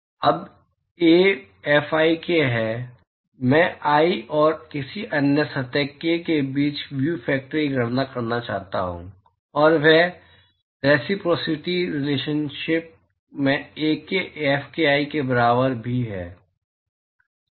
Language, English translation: Hindi, Now, Ai Fik, I want to calculate the view factor between i and any other surface k and that is also equal to Ak Fki by reciprocity relationship